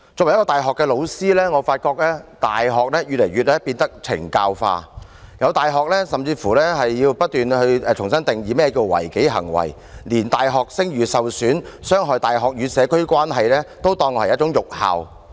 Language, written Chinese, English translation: Cantonese, 我作為大學教師，發現大學變得越來越"懲教化"，有大學甚至要重新定義何謂違紀行為，更連使大學聲譽受損及傷害大學與社區關係都被列作辱校行為。, Being a university teacher I find that the correctional element has become more and more prominent in universities . Some universities have gone so far as to redefine disciplinary offences . Acts that harm university reputation and undermine the relationship between the university and the community are regarded as insulting acts